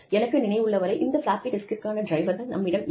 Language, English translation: Tamil, I do not think, we have drivers, for those floppy disks